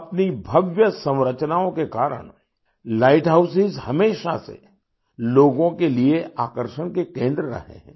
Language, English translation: Hindi, Because of their grand structures light houses have always been centres of attraction for people